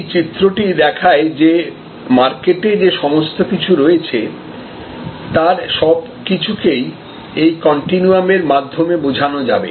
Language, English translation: Bengali, So, this diagram shows that almost everything that is there in the market can be positioned on this continuum